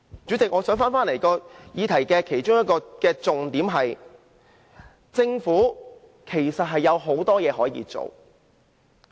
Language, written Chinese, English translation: Cantonese, 主席，這個議題其中一個重點是，政府其實有很多事可以做。, President on this subject of our discussion it is important to note that there is a lot the Government can do